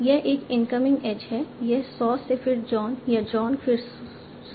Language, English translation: Hindi, This an incoming edge could have been from saw than John or John than saw